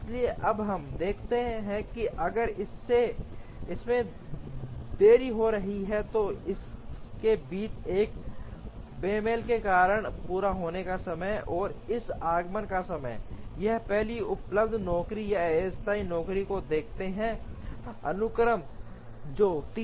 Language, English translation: Hindi, So, we now see that if there is going to be a delay, because of a mismatch between this completion time and this arrival time, we look at the next available job or tentative job in the sequence, which is 3